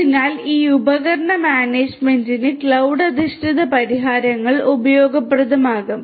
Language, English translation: Malayalam, So, for this device management, cloud based solutions are going to be useful